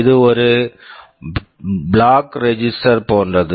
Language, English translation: Tamil, This is like a flag register